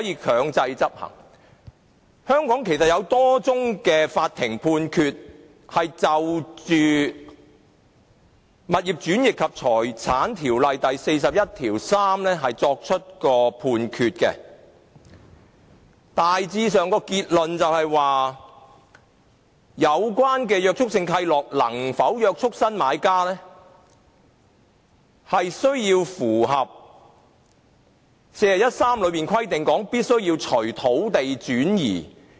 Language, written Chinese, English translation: Cantonese, 其實，香港法院有多宗就《物業轉易及財產條例》第413條作出的判決，大致結論是有關的約束性契諾能否約束新買家，需要符合第413條中規定的"須隨土地轉移"。, In fact there are a number of court rulings in relation to section 413 of the Conveyancing and Property Ordinance in Hong Kong . The general conclusion is that whether the Restrictive Covenants concerned are binding on the new buyers depends on whether the requirement of run with the land as provided in section 413 is met